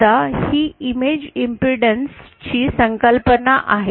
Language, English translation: Marathi, Now this is the concept of image impedance